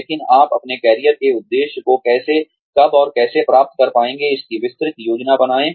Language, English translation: Hindi, But, make a detailed plan of, how and when, you will be able to, achieve your career objective